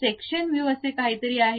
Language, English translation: Marathi, There is something like section view